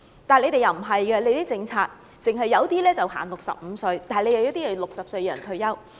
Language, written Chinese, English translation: Cantonese, 但是，政府的政策不是這樣，有些職位限65歲退休，有些職位限60歲退休。, But this is not the policy of the Government . The retirement age of some positions is 65 whereas it is 60 for some others